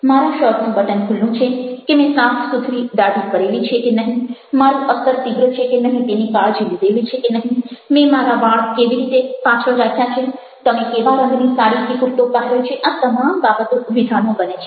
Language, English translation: Gujarati, whether our the first button of my shirt is open, or whether i am cleanly shaved or not, whether i have taken care i have put an a strong perfume, how i dressed my hair back, what kind colored saree or kurtha you are wearing, all these things are making statements